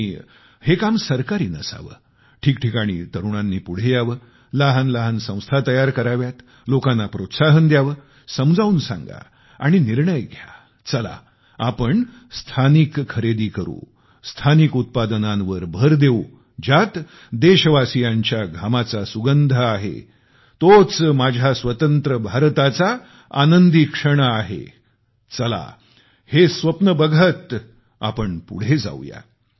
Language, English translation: Marathi, And this work should not be carried out by government, instead of this young people should step forward at various places, form small organizations, motivate people, explain and decide "Come, we will buy only local, products, emphasize on local products, carrying the fragrance of the sweat of our countrymen That will be the exultant moment of my free India; let these be the dreams with which we proceed